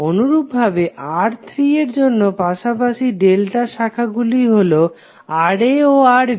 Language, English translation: Bengali, Similarly for R3, the adjacent delta branches are Rb Ra